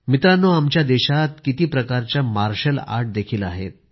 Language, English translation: Marathi, Our country has many forms of martial arts